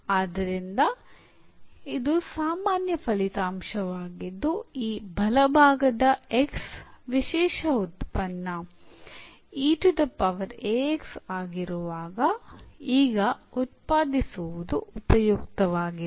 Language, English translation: Kannada, So, this is the general result what we will be useful now to derive when this right hand side x is the special function e power a x